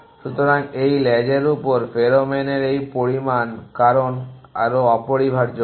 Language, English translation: Bengali, So, this amount of pheromone on this trail because more essentially